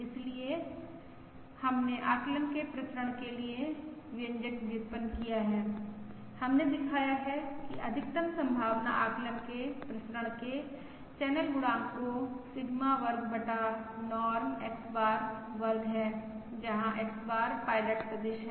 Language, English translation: Hindi, we have shown that the variance of the maximum likelihood estimate of the channel coefficient is Sigma square divided by Norm X bar square, where X bar is the pilot vector